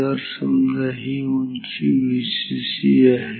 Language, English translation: Marathi, So, let this height let this height be same as V cc